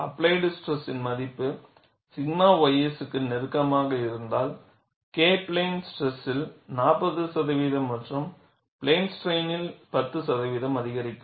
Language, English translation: Tamil, If the value of applied stress is closer to sigma ys, K will increase by 40 percent in plane stress and 10 percent in plane strain, so that relative increase of K is significant